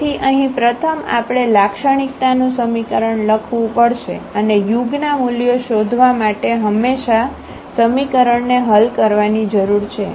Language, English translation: Gujarati, So, here first we have to write down the characteristic equation and we need to solve the characteristic equation always to find the eigenvalues